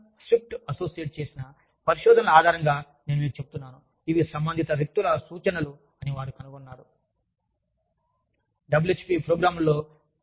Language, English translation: Telugu, And, again, i am telling you, based on the research, by Dixon Swift & Associates, they found that, these are the references of, concerned people